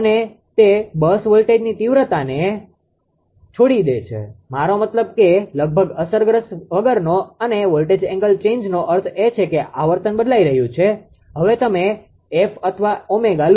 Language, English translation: Gujarati, And it leaves the bus voltage magnitude, I mean I mean almost unaffected and in voltage angle change means the frequency is changing either depth or omega now you take